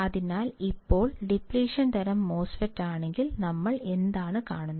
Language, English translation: Malayalam, So, now, in case of depletion type MOSFET, what we see